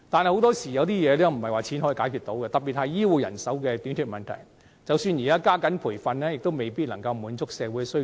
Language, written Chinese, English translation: Cantonese, 可是，很多事情並非用錢可以解決，特別是醫護人手短缺的問題，即使現時加緊培訓，亦未必可以滿足社會需求。, However some problems cannot be tackled with money in particular the shortage of health care manpower . Even if the training of personnel is now sped up it may not be sufficient to meet the demand of society